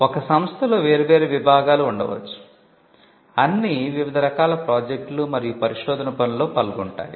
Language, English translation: Telugu, In an institution may have different departments, all involving in different kinds of projects and research work